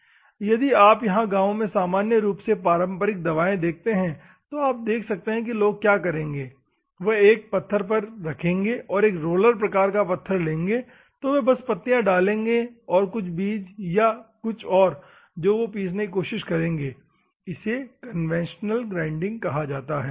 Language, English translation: Hindi, If you see here normally traditional medicines in the villages nowadays you can see the people will do if by keeping on a rock they will take a roller type of rock, they will just put the leaves and what of the seeds or something just they try to grind it that is called conventionality grinding process, ok